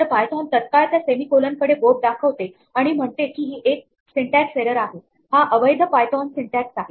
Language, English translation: Marathi, Then immediately python points to that semicolon and says this is a syntax error it is invalid python syntax